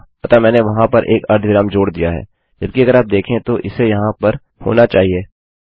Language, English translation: Hindi, So I have added a semicolon there, although to the human eye visually it should be there